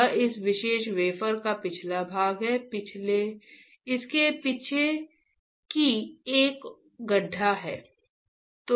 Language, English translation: Hindi, This is the backside of this particular wafer, this one, on the backside there is a pit